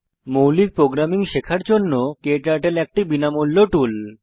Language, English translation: Bengali, KTurtle is a free tool to learn basic programming